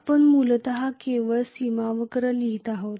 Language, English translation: Marathi, We are essentially writing only the boundary curve